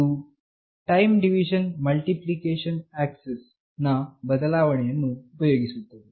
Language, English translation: Kannada, It uses a variation of Time Division Multiple Access that is TDMA